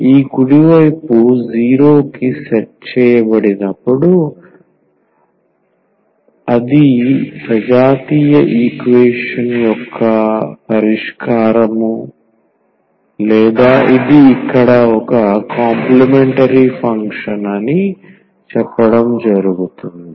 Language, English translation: Telugu, That is the solution of the homogeneous equation when this right hand side is set to 0 or this is rather to say it is a complementary function here